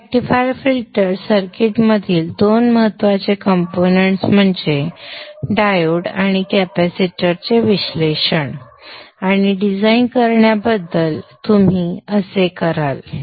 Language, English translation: Marathi, So this is how you would go about analyzing and designing the two important components in the rectifier filter circuit which is the diode and the capacitor